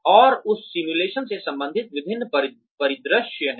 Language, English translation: Hindi, And, there is various scenarios, related to that simulation